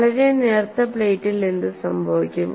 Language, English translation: Malayalam, What happens in a very thin plate